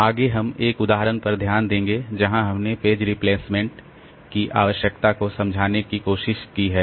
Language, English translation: Hindi, Next, we'll look into an example, where we'll look into an example where we try to explain this need for page replacement